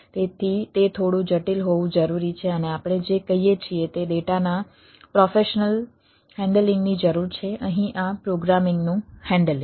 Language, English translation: Gujarati, so, ah, it needs to be little complex and needs more what we say professional handling of the data here, handling of this programming